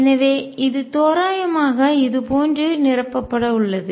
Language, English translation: Tamil, So, this is going to be roughly filled like this